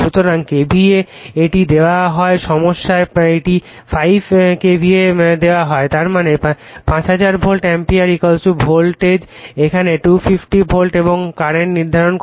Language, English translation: Bengali, So, KVA it is given in the problem it is given 5 KVA; that means, 5000 volt ampere = voltage is 250 volt here and current you have to determine